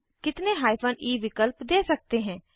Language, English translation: Hindi, How many hyphen e options can we give